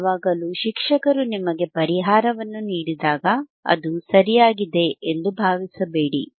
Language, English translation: Kannada, It is not that always whenever a teacher gives you a solution, it may beis correct